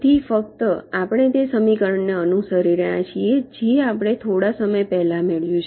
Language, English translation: Gujarati, so just, we are following that equation which we derived just sometime back